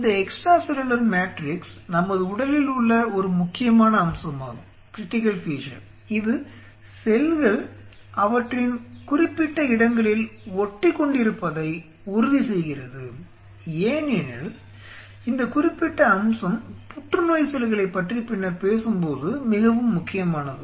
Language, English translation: Tamil, This extra cellular matrix is one critical feature in our body which ensures the cells remain adhered to their specific locations because this particular aspect is very critical when will be talking later about cancer itself